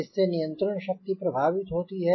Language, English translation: Hindi, control power will be affected